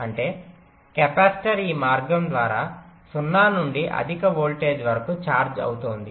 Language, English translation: Telugu, this means the capacitor is charging from zero to high voltage via this path